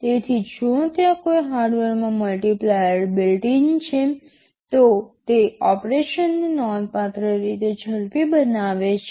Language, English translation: Gujarati, So, if there is a hardware multiplier built in, it speeds up operation quite significantly